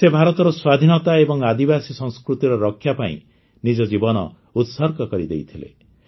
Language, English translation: Odia, He had sacrificed his life to protect India's independence and tribal culture